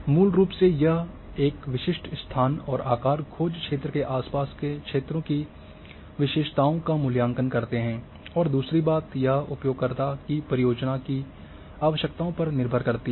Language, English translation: Hindi, Basically, these evaluate the characteristics of an area surrounding a specific location and the size search area and other thing is depends on the user requirements the project requirements